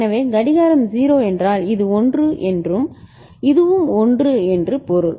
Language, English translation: Tamil, So, clock is 0 means this is 1 and this is also 1 right